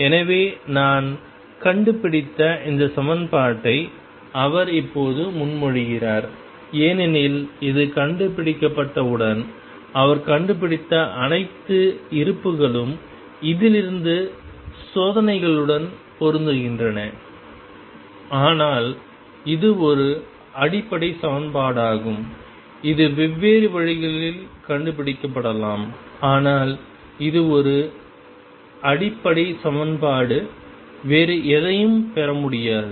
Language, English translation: Tamil, So, he propose this equation I discovered this now we say discovered because once it is discovered it all the reserves that he found from this to matching with experiments, but it is a fundamental equation it can be discovered by different means, but it is a fundamental equation it cannot be derived from anything else